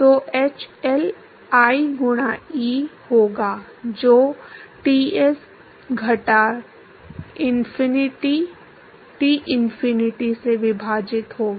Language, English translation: Hindi, So, hL would be I times E divided by Ts minus Tinfinity